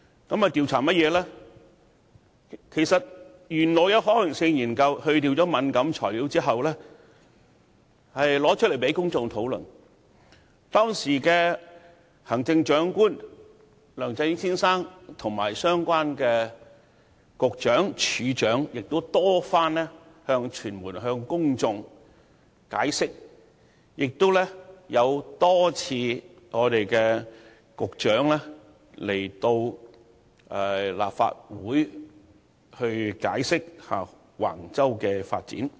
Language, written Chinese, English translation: Cantonese, 事實上，當局稍後已在刪去敏感資料後，將相關可行性研究提出來讓公眾討論，當時的行政長官梁振英先生和相關的局長、署長，已向傳媒和公眾多番解釋，而局長亦多次前來立法會解釋橫洲的發展計劃。, In fact the relevant feasibility studies were later released for public discussion after the deletion of certain sensitive information . The then incumbent Chief Executive Mr LEUNG Chun - ying and the Directors of Bureaux concerned had explained the case to the media and the public a number of times whereas the Director of Bureau had come to the Legislative Council several times to explain the development plan of Wang Chau